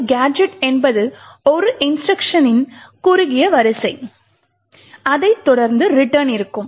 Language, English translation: Tamil, Now a gadget is a short sequence of instructions which is followed by a return